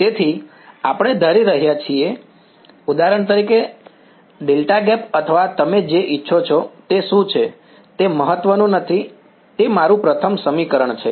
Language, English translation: Gujarati, So, this we are assuming, for example, a delta gap or whatever you want does not matter what it is, that is my first equation